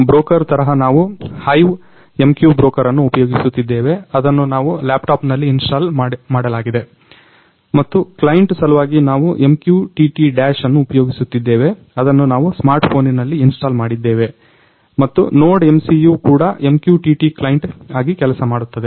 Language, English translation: Kannada, So, as a broker we have used HiveMQ broker which we have installed on our laptop and for client we have used MQTT Dash which is installed on our smart phone and NodeMCU is also working as MQTT client